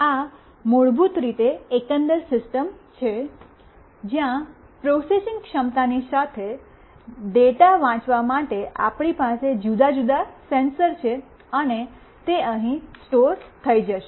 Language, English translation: Gujarati, This is basically the overall system, where along with processing capability, we have different sensors to read the data, and it will get stored here